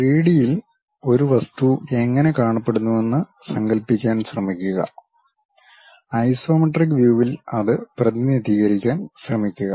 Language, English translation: Malayalam, Try to imagine how an object really looks like in 3D and try to represent that in isometric views